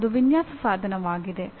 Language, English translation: Kannada, That is a design instrumentality